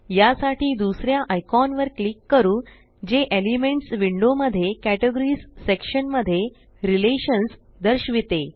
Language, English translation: Marathi, For this, let us click on the second icon that says Relations in the Categories section in the Elements window